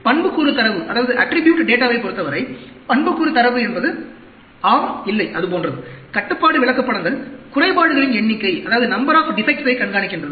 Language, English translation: Tamil, For attribute data, attribute data is yes no that sort of thing, control charts tracks the number of defects